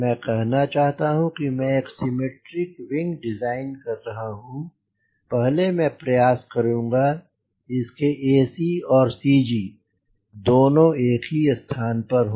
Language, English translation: Hindi, i let say i am designing a symmetric wing, so i will, initially, i will try so that the ac of the wing and cg are at same location